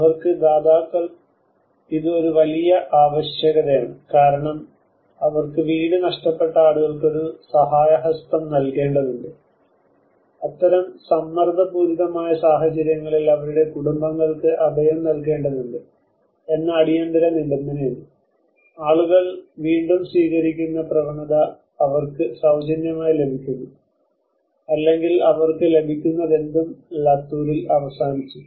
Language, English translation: Malayalam, The providers for them it is a great need because they have to give a helping hand for the people who lost their houses for them there is an immediate requirement that they need to shelter their families for that kind of pressurized situation, people tend to accept whatever they get for free or whatever they get that is how it ended in Latur